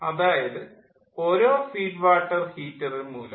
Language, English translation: Malayalam, so those many feed water heaters are used